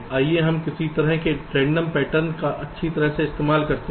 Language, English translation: Hindi, let us use some kind of random patterns